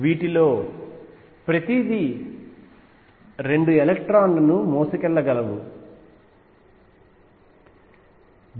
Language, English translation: Telugu, And each of these can carry 2 electrons